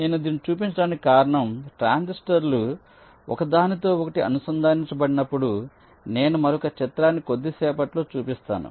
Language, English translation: Telugu, ok, so the reason i am showing this is that when the transistors are interconnected like i am showing another picture very quickly